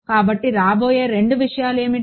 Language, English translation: Telugu, So, what are the two things that will come